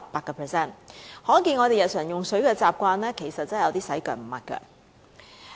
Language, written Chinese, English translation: Cantonese, 由此可見，我們日常的用水習慣真的有點"洗腳唔抹腳"。, As we can see our daily water consumption habit is really a bit thriftless